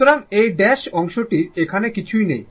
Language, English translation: Bengali, So, this portion dash portion nothing is there here right